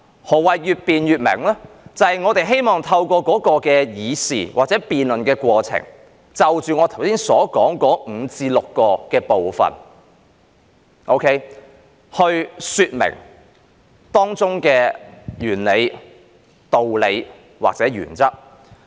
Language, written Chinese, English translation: Cantonese, 何謂越辯越明？就是我們希望透過議事或辯論過程，就着我剛才說的5至6個部分來說明當中的原理、道理或原則。, What is meant by the more the subject is debated the clearer it becomes? . It is our wish that through deliberation or the debating process we can in respect of the five to six parts that I just mentioned state clearly the rationale the reasoning or the principles concerned